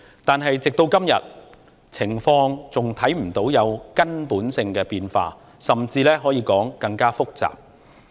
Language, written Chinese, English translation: Cantonese, 然而，直至今天，情況還看不到有根本的變化，甚至可以說是更複雜。, However up to now no fundamental change in the situation can be seen and it can even be said that the situation has become more complicated